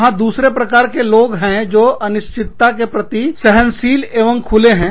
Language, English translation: Hindi, There are, other people, were more tolerant of, and open to ambiguity